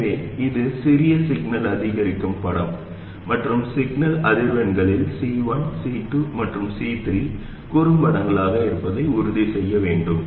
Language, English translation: Tamil, So this is the small signal incremental picture and we have to make sure that C1, C2 and C3 are shorts at the signal frequencies